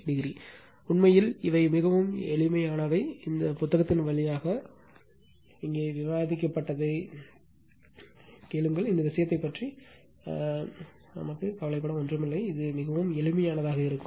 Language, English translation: Tamil, 43 degree, actually this things are very simple just little bit you go through this book and just listen what have been discussed here and nothing to be worried about this thing it seems very simple 3 phase right